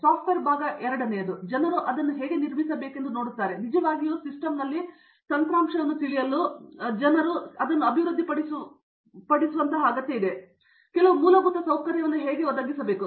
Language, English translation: Kannada, The second on the software side, people are looking at how to build, how to actually provide certain infrastructure by which people can develop you know software on the system